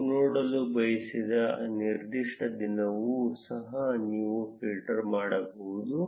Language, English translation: Kannada, You can also filter out a particular day that you do not want to see